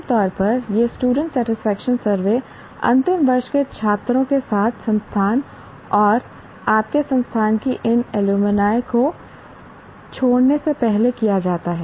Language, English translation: Hindi, Generally Generally this student satisfaction survey is done with the final year students before they leave the institute and your alumni of the institute